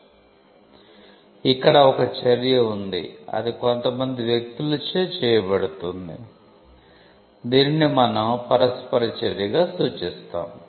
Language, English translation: Telugu, So, you have an act, which is done by parties, which is what we refer to as interaction